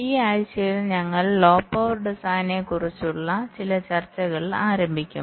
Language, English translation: Malayalam, so in this week we shall be starting with some discussions on low power design